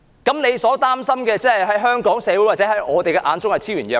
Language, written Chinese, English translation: Cantonese, 他們所擔心的問題，在香港社會或我們的眼中可說是昭然若揭。, Their concerns are in the eyes of the Hong Kong community or Members blatantly clear